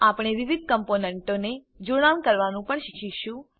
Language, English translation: Gujarati, We will also learn to connect the various components